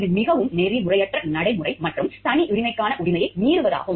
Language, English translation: Tamil, This is highly unethical practice and violation of right to privacy